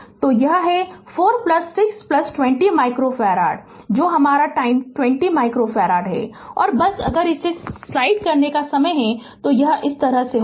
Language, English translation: Hindi, So, it is 4 plus 6 plus 20 micro farad that is your 30 micro farad right and ah just if you add it, it will be like this right